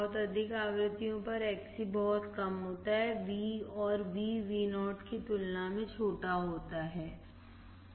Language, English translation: Hindi, At very high frequencies Xc is very low and Vo is small as compared with Vin